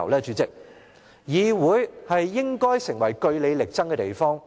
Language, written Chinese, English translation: Cantonese, 主席，議會應成為據理力爭的地方。, President the legislature should be a place where one argues strongly on good grounds